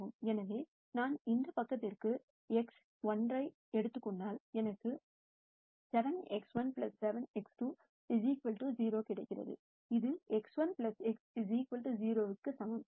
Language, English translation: Tamil, So, if I take x 1 to this side I get 7 x 1 plus 7 x 2 equals 0, which is the same as x 1 plus x 2 equals 0